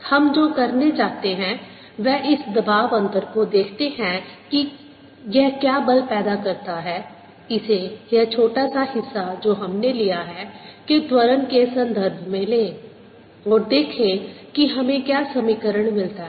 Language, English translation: Hindi, what we want a to do is see this pressure difference, what force does it create, relate that to the acceleration of this small portion that we have taken and see what the, what is the equation that we get